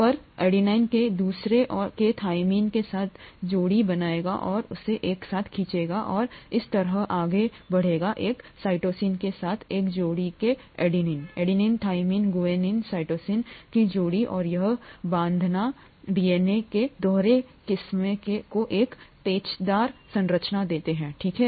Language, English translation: Hindi, So the adenine on one will pair up with the cytosine of the other and pull it together and so on and so forth, the guanine of one pair with a cytosine adenine thymine, guanine cytosine pairing and this pairing gives the dual strands of the DNA a helical structure, okay